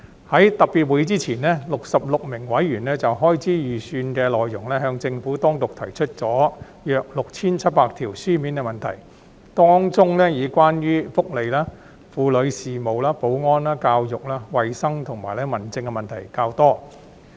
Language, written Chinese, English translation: Cantonese, 在特別會議前 ，66 名委員就開支預算的內容向政府當局提出共約 6,700 條書面問題，當中以關於福利及婦女事務、保安、教育、衞生，以及民政的問題較多。, Before the commencement of the special meetings 66 Members submitted about 6 700 written questions on the Estimates of Expenditure to the Government in which a relatively larger number of questions were focused on welfare women affairs security education health and home affairs